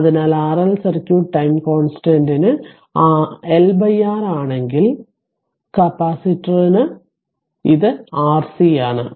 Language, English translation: Malayalam, So, for RL circuit time constant is L by R whereas, for capacitor it is your R C right